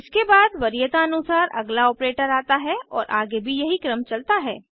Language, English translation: Hindi, This is then followed by the next operator in the priority order and so on